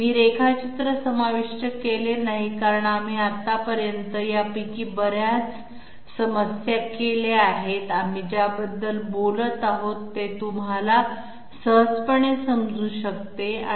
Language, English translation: Marathi, I have not included the drawing because we have done so many of these problems till now, you would be easily able to grasp what we are talking about